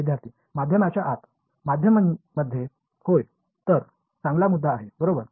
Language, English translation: Marathi, Inside the medium Inside the medium yes that is a good point right